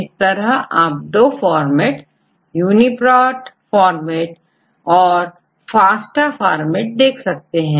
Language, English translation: Hindi, So, you can see this sequence in two different formats, either you can see this is the UniProt format and also you can see the FASTA format what is FASTA format